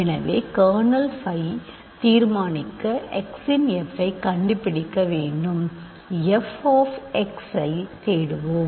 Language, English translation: Tamil, So, in order to determine kernel phi I just need to find out f of x; let us search for f of x